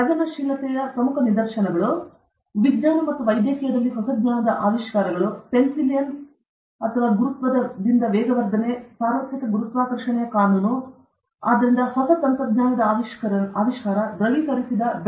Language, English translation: Kannada, Important instances of creativity; discoveries of new knowledge in science and medicine discovery of penicillin okay or acceleration due to gravity, universal law of gravitation okay, f equal to g m 1 m 2 by r square okay, it is directly proportional to the mass of the two objects, it is inversely proportional to the square of the distance between them and the constant is g okay